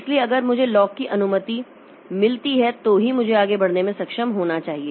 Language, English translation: Hindi, So, if I get the lock permission then only I should be able to proceed